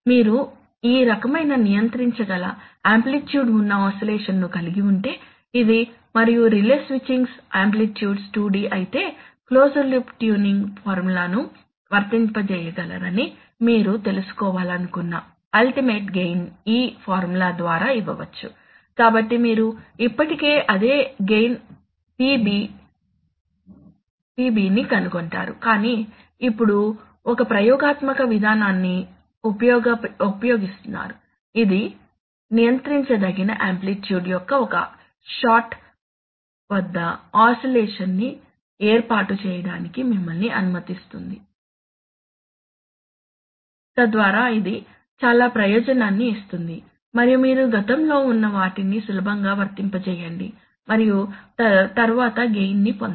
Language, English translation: Telugu, That if you have, if you have, if you have an oscillation of this kind in the process which is of amplitude of a, which can be controlled and if the relay switching’s are of amplitude 2d then the ultimate gain which you want to, which you wanted to find out, to be able to apply the closed loop tuning formula can be given by this formula, so you see you are still finding out that same gain PB star but now using an experimental procedure, which lets you set up an oscillation at one shot of a controllable amplitude, so that is the big advantage and then now you can, you can easily apply those formerly and then get the gain